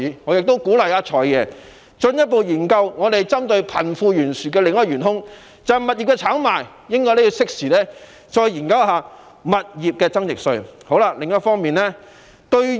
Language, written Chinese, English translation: Cantonese, 我亦鼓勵"財爺"進一步研究貧富懸殊的另一元兇物業炒賣，他也應該適時研究引入物業增值稅。, I also encourage FS to look further into property speculation which is another culprit causing the disparity between the rich and the poor . He should also study the introduction of property gains tax at appropriate juncture